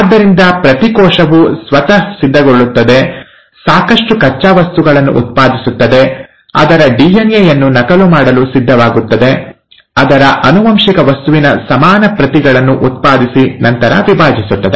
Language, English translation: Kannada, So every cell prepares itself, generates enough raw material, gets ready to duplicate its DNA, having generated equal copies of its genetic material it then divides